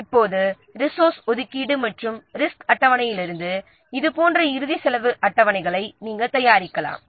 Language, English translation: Tamil, Now, from the resource allocation and the resource schedule you can prepare the final cost schedules like this